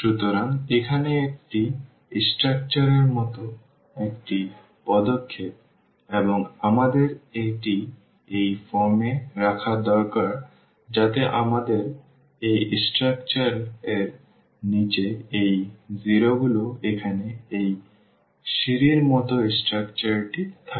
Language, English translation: Bengali, So, here then this is step like structure and we need to this is the aim to put into this form so that we have these 0s on the bottom of this of this structure here this stair like structure